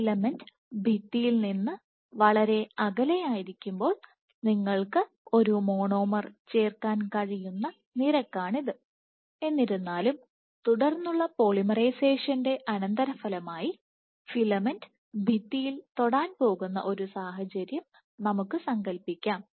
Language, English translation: Malayalam, So, when the filament is far away from the wall this is the rate at which you can add a monomer; however, let us assume a situation in which after as a consequence of subsequent polymerizations the filament is about to touch the wall